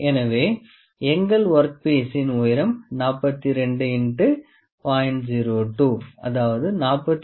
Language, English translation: Tamil, So, the height of our work piece is 42 into 0